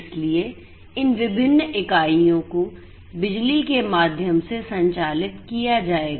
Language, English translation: Hindi, So, these different units are going to be powered through electricity